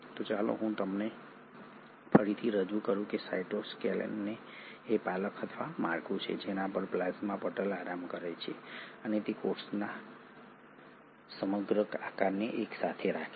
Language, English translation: Gujarati, The cytoskeleton is the scaffold or the structure on which the plasma membrane rests and it holds the entire shape of the cell together